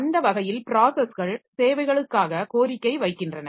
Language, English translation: Tamil, So, that way the processes they will request for services